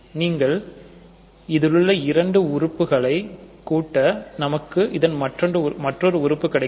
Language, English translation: Tamil, So, if you add two elements of Z[i] you get another element of Z i